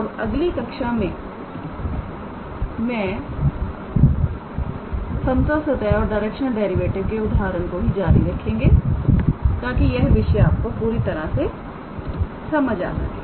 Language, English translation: Hindi, In our next class we will continue with the examples on level surfaces and directional derivative just to make the concepts clear and I look forward to you in your next class